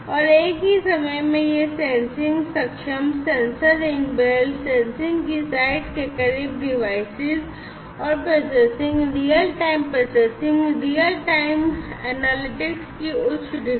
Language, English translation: Hindi, And, also at the same time these sensing enabled, sensor enabled, devices and processing close to the site of sensing and you know higher degrees of processing, real time processing, real time analytics